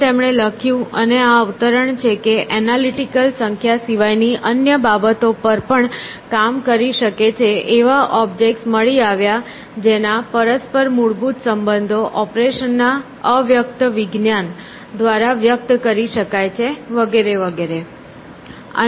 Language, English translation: Gujarati, And, she wrote, and this is the quotation, that the analytical might act upon other things besides number, were objects found whose mutual fundamental relations could be expressed by those of the abstract science of operations, and so on